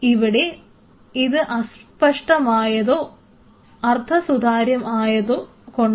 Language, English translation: Malayalam, Here this was opaque or translucent